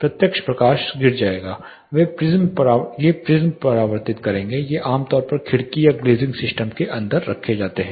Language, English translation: Hindi, The light direct light will fall these prisms will reflect these are typically placed inside the window or glazing systems